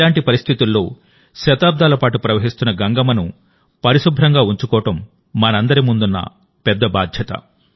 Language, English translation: Telugu, Amid that, it is a big responsibility of all of us to keep clean Mother Ganges that has been flowing for centuries